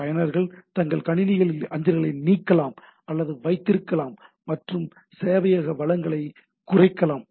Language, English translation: Tamil, Users can either delete or keep mails in their systems and minimize the server resources